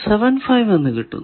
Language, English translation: Malayalam, 75 it is not 1